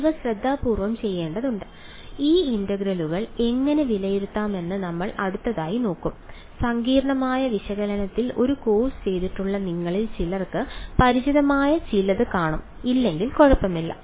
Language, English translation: Malayalam, These have to be done carefully and we will look at these next how to evaluate these integrals those of you who have done a course on complex analysis will find some of this familiar if not it does not matter ok